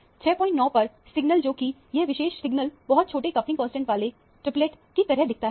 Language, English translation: Hindi, 9, which is this particular signal looks like a triplet with a very low coupling constant